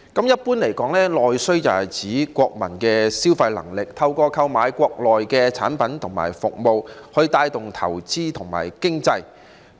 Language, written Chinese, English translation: Cantonese, 一般而言，內需是指國民的消費能力，透過購買國內的產品和服務來帶動投資和經濟。, Generally speaking domestic demand refers to the purchasing power of the people and the purchase of domestic products and services help boost investment and the economy